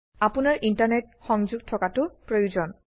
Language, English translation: Assamese, You will also require Internet connectivity